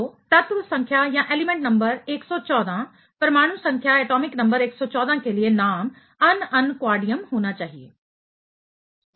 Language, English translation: Hindi, So, the name for 114, element number 114, atomic number 114 should be ununquadium